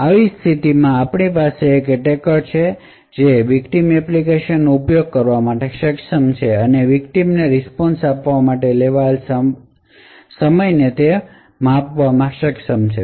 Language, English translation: Gujarati, So, in such a scenario we have an attacker who is able to invoke a victim application and is able to measure the time taken for the victim to provide a response